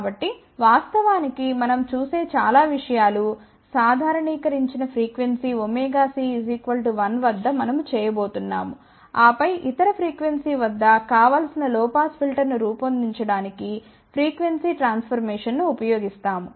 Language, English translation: Telugu, So, in fact, most of the things as we will see that we have going to do for normalize frequency omega c equal to 1, and then we use the frequency transformation to design the desired low pass filter at the other frequency